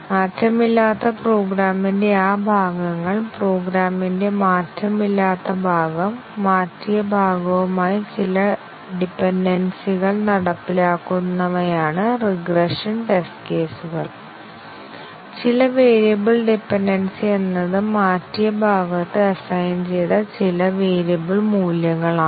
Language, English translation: Malayalam, The regression test cases are those, which execute those parts of the unchanged program, unchanged part of the program, which have some dependency with the changed part; say, are some variable dependence some variable values that are assigned in the changed part and so on